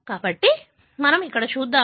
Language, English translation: Telugu, Let us see here